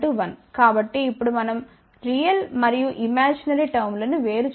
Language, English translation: Telugu, So, now, we can separate the real and imaginary terms